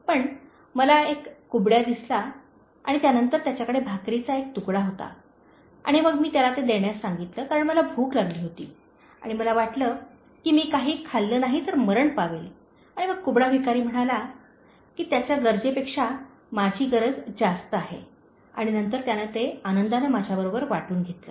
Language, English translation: Marathi, But I saw a hunchback and then he was having a set of bread and then I asked him to spare that to me because, I was hungry and I thought, I would die without eating anything and then the hunchback beggar said that my need was higher than his need and then he happily shared that with me